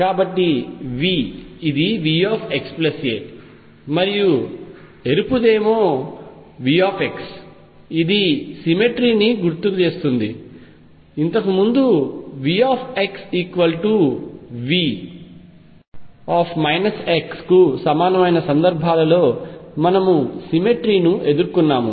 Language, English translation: Telugu, So, V this is V x plus a and the red one V x this is a cemetery recall earlier we had encountered a symmetry in the cases where V x was equal to V minus x